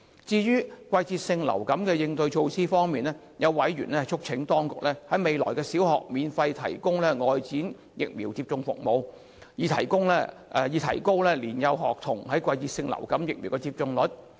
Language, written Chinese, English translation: Cantonese, 至於季節性流感的應對措施方面，有委員促請當局來年在小學免費提供外展疫苗接種服務，以提高年幼學童的季節性流感疫苗接種率。, As for the measures for coping with seasonal influenza some members urged the authorities to increase seasonal influenza vaccination uptake rate among young school children by providing free outreach vaccination at the primary school setting in the upcoming year